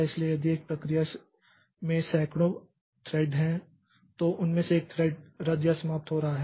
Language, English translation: Hindi, So, if you a process may have 100 threads out of which one thread is getting cancelled or terminated